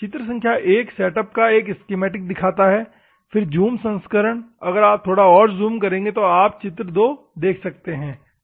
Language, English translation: Hindi, Figure 1 shows an overview of the setup in a schematic way, then zoomed version, what is happening, if you still zoom you see figure 2, ok